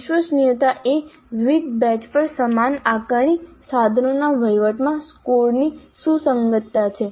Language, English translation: Gujarati, Reliability is consistency of scores across administration of similar assessment instruments over different batches